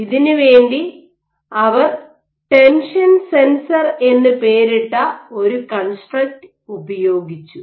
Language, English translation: Malayalam, So, in this regard they made use of a construct which they named as the tension sensor